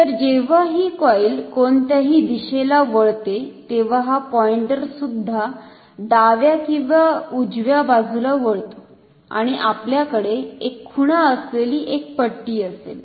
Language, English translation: Marathi, So, when this coil turns, in either direction this pointer will also turn towards the left or right and we will have a scale with markings like this